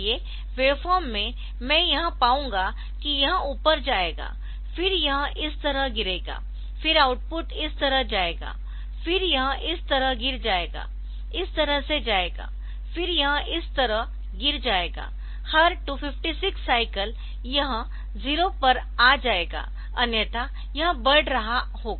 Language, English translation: Hindi, So, as the of form I will find that it will go up to this then it will fall like this, then again it will go like output like this then it will fall like this go out output like this then it will fall like this, every 256 cycle